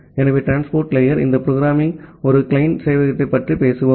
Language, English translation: Tamil, So, at the transport layer, we are talking about a client server this programming